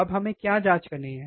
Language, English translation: Hindi, Now, what we have to check